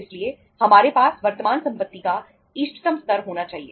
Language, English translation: Hindi, So we have to have optimum level of current assets